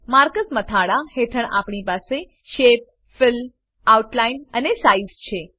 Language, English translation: Gujarati, Under Marker heading we have Shape, Fill, Outline and Size